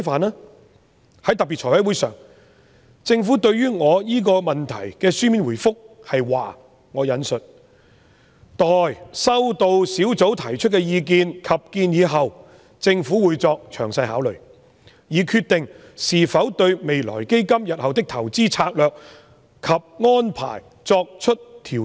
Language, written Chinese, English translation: Cantonese, 在財務委員會特別會議上，政府對我這項問題的書面答覆是："待收到小組提出的意見及建議後，政府會作詳細考慮，以決定是否對'未來基金'日後的投資策略及安排作出調整。, At a special meeting of the Finance Committee the Government gave the following written reply to my question and I quote Upon receiving the advice and recommendations from the group the Government will deliberate and decide if the investment strategies and arrangements of the Future Fund have to be adjusted